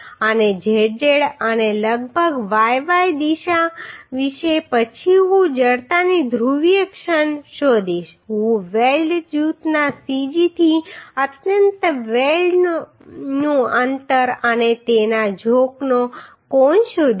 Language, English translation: Gujarati, And about zz and about yy direction then I will I will find out the polar moment of inertia I will find out the distance of the extreme weld and its angle of inclination from the cg of the weld group